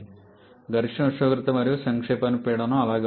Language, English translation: Telugu, Condenser maximum temperature and condensation pressure remains the same